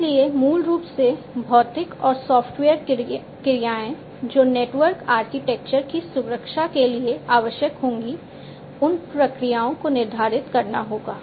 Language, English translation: Hindi, So, basically the physical and software actions that would be required for protecting the network architecture those processes will have to be laid down